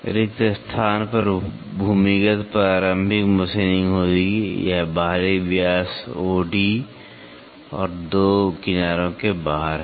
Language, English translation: Hindi, The blank would have underground preliminary machining on it is outside diameter O D and the two faces